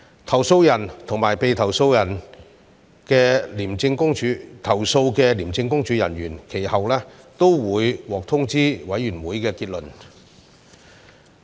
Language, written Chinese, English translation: Cantonese, 投訴人和被投訴的廉政公署人員其後均會獲通知委員會的結論。, The complainants and the ICAC officers targeted in the complaints will subsequently be advised of the Committees conclusions